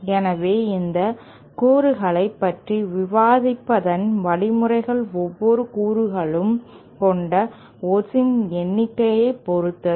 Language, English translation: Tamil, So, the way we will be going about discussing these components is based on the number of oats each component has